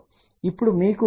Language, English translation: Telugu, Now, just to tell you 0